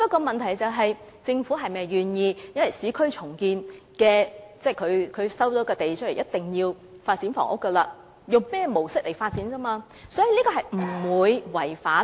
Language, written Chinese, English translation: Cantonese, 問題在於政府是否願意把市建局收回的土地發展房屋，以及用甚麼模式發展而已。, The question hinges on whether the Government is willing to use the lands acquired by URA to develop housing and what approach is to be adopted